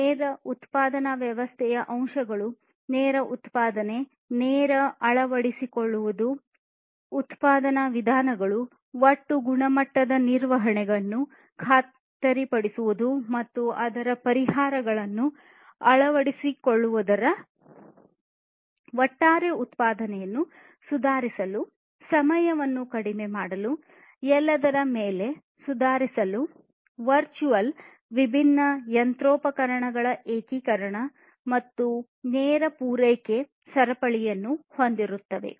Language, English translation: Kannada, So, these are the different components of the lean production system, lean manufacturing, lean manufacturing, adopting lean manufacturing methods, ensuring total quality management, then adoption of it solutions to improve the overall production, reducing time improve improving upon everything in fact, virtual integration of different machinery, and so on, having a lean supply chain